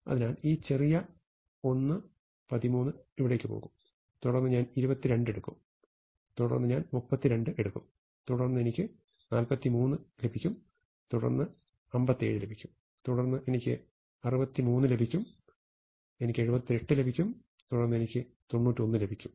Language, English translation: Malayalam, So, the smallest one 13 will go here, then I will get 22, then I will get 32, then I will get 43, then I will get 57, then I will get 63, and I will get 78, then I will get 91